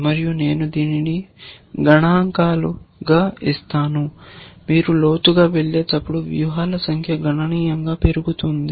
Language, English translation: Telugu, And I will just give this as figures, you can work this out yourselves that as you go deeper, the number of strategies increases considerably